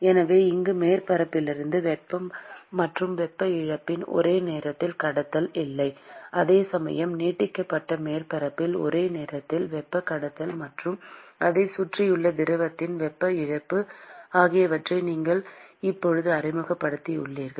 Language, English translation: Tamil, So, here there is no simultaneous conduction of heat and heat loss from the surface, while in the extended surface you have now introduced the system where there is simultaneous conduction of heat and also loss of heat to the fluid which is surrounding it